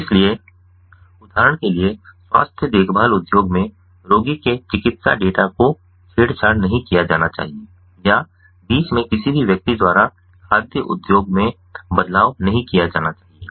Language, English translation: Hindi, so, for example, in the health care industry, the medical data of the patient must not be tampered or altered by any person in the middle